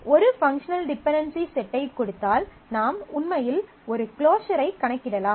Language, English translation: Tamil, Given a set of functional dependencies, we can actually compute a closure